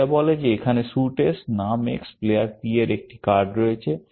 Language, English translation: Bengali, All it says is there is a card of suit S, name X, player P